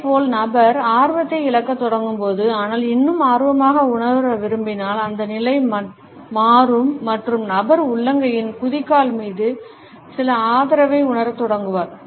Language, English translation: Tamil, Similarly, when the person begins to lose interest, but still wants to come across as feeling interested, then the position would alter and the person would start feeling some support on the heel of the palm